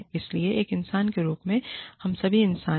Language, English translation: Hindi, But, even as a human being, we are all humans